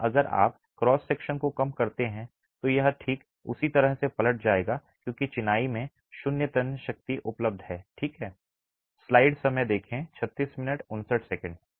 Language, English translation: Hindi, Here if you reduce the cross section it will simply overturn because of zero tensile strength available in the masonry